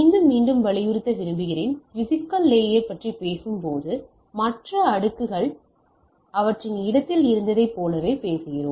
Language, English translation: Tamil, So, again I just to reiterate that when we are talking about physical layer, we are considering the other layers are as there in their place